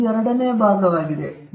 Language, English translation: Kannada, So, that is the second part